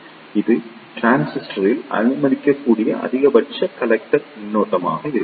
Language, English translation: Tamil, This will be the maximum collector current allowable in the transistor